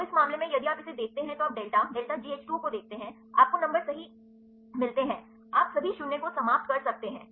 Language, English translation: Hindi, So, in this case if you see this you see delta delta G H 2 O you get the numbers right, you can eliminate all the null values